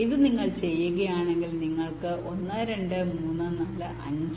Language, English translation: Malayalam, so if you do this, you will see that you get one, two, three, four, five